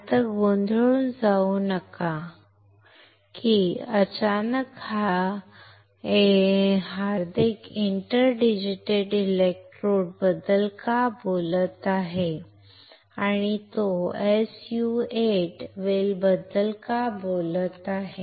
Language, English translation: Marathi, Now, do not get confused right, that suddenly why Hardik is talking of inter digitated electrodes and why he is talking of SU 8 well